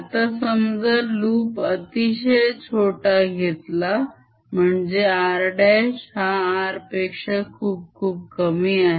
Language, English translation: Marathi, now let us take this loop to be very, very small